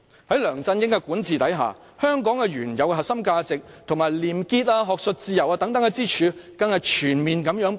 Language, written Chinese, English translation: Cantonese, 在梁振英的管治下，香港原有的核心價值，以及廉潔、學術自由等支柱更不斷全面潰敗。, The original core values of Hong Kong and pillars such as probity and academic freedom have been wholly deteriorating under LEUNG Chun - yings governance